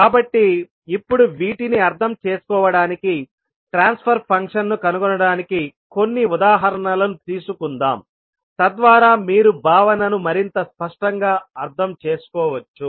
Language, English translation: Telugu, So, now to understand these, the finding out the transfer function let us take a few examples so that you can understand the concept more clearly